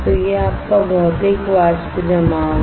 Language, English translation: Hindi, So, this is your Physical Vapor Deposition